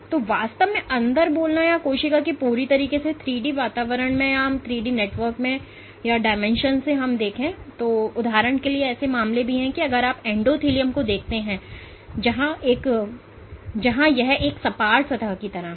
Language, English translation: Hindi, So, truly speaking inside or what is cells exist in a completely three d environment, but there are also cases for example, if you look at the endothelium where it is more like a flat surface